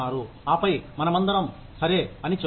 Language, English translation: Telugu, And then, we will all say, okay